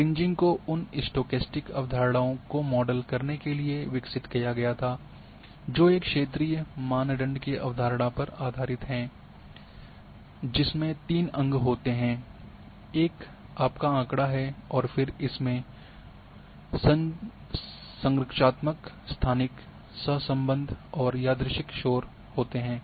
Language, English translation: Hindi, Kriging was developed to model those stochastic concepts it is based on the concept of a regionalized variable that has three components; one is the your data and then it is having structural, spatially, correlated and random noise